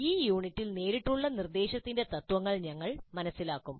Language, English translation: Malayalam, So in this unit, we'll understand the principles of direct instruction